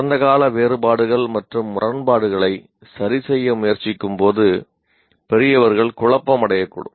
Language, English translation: Tamil, Now, adults may become confused as they attempt to reconcile their own past inconsistencies and contradictions